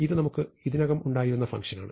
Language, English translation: Malayalam, So, this is the function that we already had